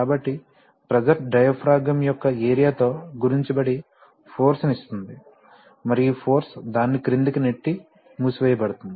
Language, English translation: Telugu, So, the pressure multiplied by the area of the diaphragm will give the force and this force will be going to push it down and close it right